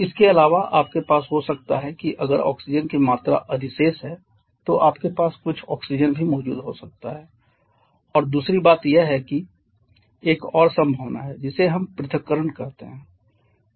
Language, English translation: Hindi, Also you may have if the amount of oxygen is surplus you may have some oxygen present there also and secondly there is another possibility which we called dissociation